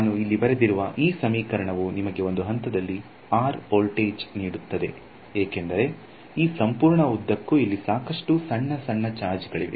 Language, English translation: Kannada, So, this equation that I have written here this gives you the voltage at a point r because, I have lots of small small charges along this entire length over here